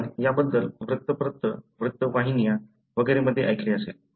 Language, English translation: Marathi, You must have heard about it in the newspaper, news channels and so on